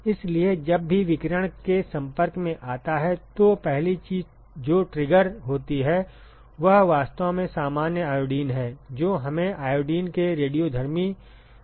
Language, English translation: Hindi, So, whenever there is an exposure to radiation, one of the first thing that gets triggered is actually the normal iodine get us converted into the radioactive form of iodine